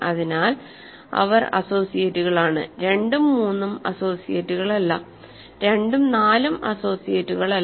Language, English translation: Malayalam, So, they are associates 2 and 3 are not associates, 2 and 4 are not associates right